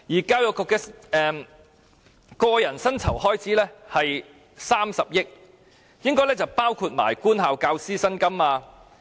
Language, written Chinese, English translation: Cantonese, 教育局的個人薪酬開支約為30億元，應該包括官校教師薪金。, The expenditure on personal emoluments of the Education Bureau is about 3 billion which should include salaries of teachers of government schools